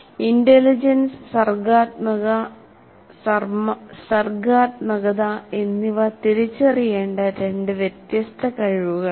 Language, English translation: Malayalam, And intelligence and creativity are two separate abilities